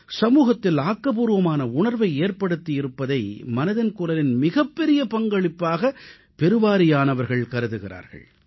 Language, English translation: Tamil, Most people believe that the greatest contribution of 'Mann Ki Baat' has been the enhancement of a feeling of positivity in our society